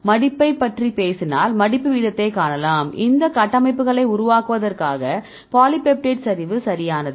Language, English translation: Tamil, So, how much the rate they take then if you talk about the folding here you can see the rate of folding is the rate the polypeptide collapse right to form these structures